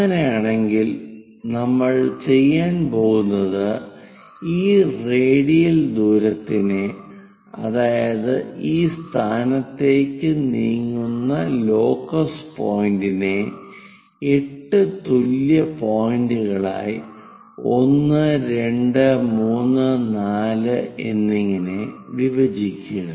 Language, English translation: Malayalam, In that case, what we are going to do is divide the distance the radial distance this point locus point which moves all the way up to this point A divide that into 8 equal points 1, 2, 3, 4 and so on all the way there name it into different points